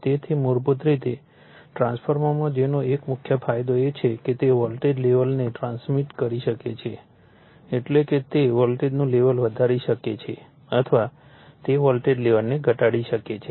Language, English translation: Gujarati, So, basically in a transformer that one of the main advantages is that that it can transmit the voltage level that is it can increase the voltage level or it can you what you call decrease the voltage level